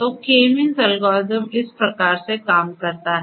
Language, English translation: Hindi, So, this is how this K means algorithm works